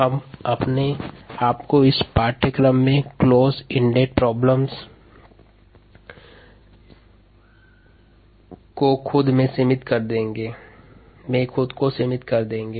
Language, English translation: Hindi, we will leave it ourselves to what are called closed ended problems in this course